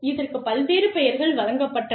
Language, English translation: Tamil, So, various names, that have been given to this